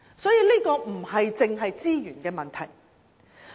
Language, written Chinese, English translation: Cantonese, 因此，這並非只是資源的問題。, Therefore this is not only a matter of resources